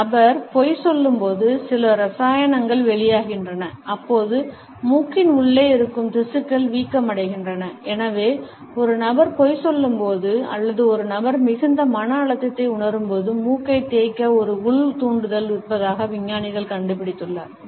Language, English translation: Tamil, Scientists have found out that when a person lies, certain chemicals are released and they cause the tissues inside the nose to swell and therefore, when a person is lying or when a person is feeling tremendous stress, there is an inner urge to rub the nose